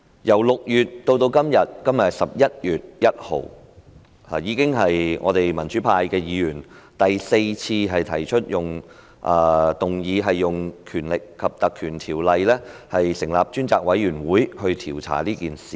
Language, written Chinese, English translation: Cantonese, 由6月至今天11月1日，民主派議員已經是第四次提出議案，希望引用《條例》成立專責委員會調查這件事。, Today is 1 November and this is the fourth time since June that the pro - democracy Members have proposed a motion on invoking PP Ordinance to set up a select committee to investigate this incident